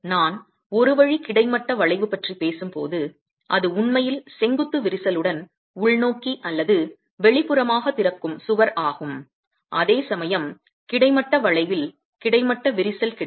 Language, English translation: Tamil, When I'm talking of one way horizontal bending it's the wall which is actually opening inwards or outwards with a vertical crack that is formed, whereas in the one way horizontal bending you get a horizontal crack